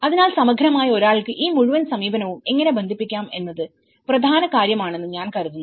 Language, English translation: Malayalam, So, I think in a holistically, how one can connect this whole approach is important thing